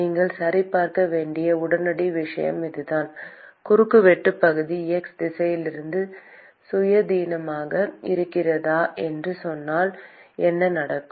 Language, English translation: Tamil, That is the immediate thing you want to check: whether if we say cross sectional area is independent of the x direction, then what will be the case